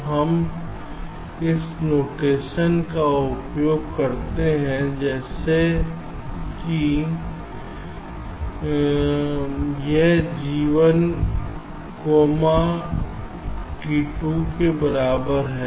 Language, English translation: Hindi, so we use a notation like this: g one comma, t equal to two